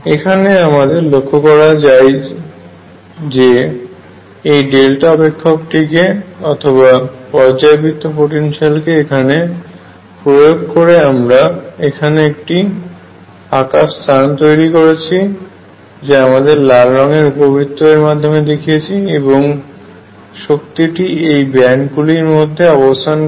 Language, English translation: Bengali, What is noticeable is that by introducing this delta function or periodic potential we have created a gap here which I am showing by this red ellipse and energy is lie in these bands